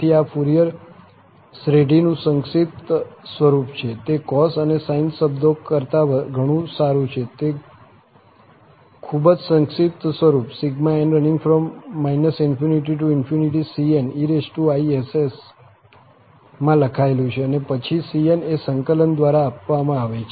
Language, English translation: Gujarati, So, this is the compact form of the Fourier series, much better than having those cos and sine, it is written in a very compact form cn e power inx, and then the cn will be given by this integral